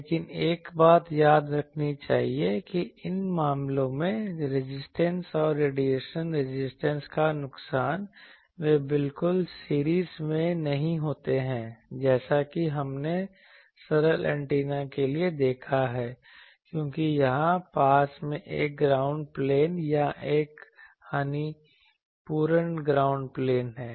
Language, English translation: Hindi, But one thing should be remember that these in these cases the loss resistance and the radiation resistance they are not exactly in series as we have seen for simple antennas, because, here there is a nearby ground plane or a lossy ground plane